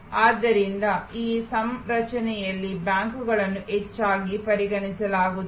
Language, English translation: Kannada, So, banks are often considered in this configuration